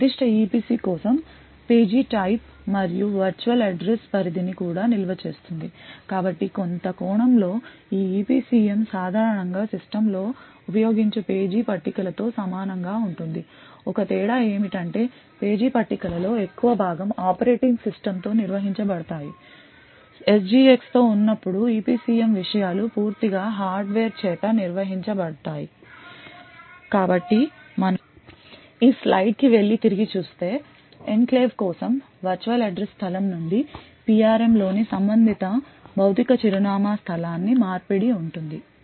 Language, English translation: Telugu, It also stores the type of page and the virtual address range for that particular EPC so in some sense this EPCM is somewhat similar to the page tables which are generally used in systems the only difference is that the most of the page tables are managed by the operating system while with the SGX the EPCM contents is completely managed by the hardware so if we actually go back to this slide and see that there is now a conversion from the virtual address space for the enclave to the corresponding physical address space in the PRM